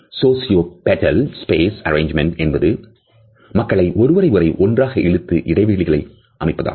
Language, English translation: Tamil, And sociopetal space arrangements are those arrangements which are based on those patterns which pull people together